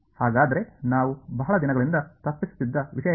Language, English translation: Kannada, So, what is the thing that we have been avoiding all the long